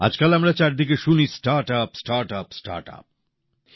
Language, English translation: Bengali, These days, all we hear about from every corner is about Startup, Startup, Startup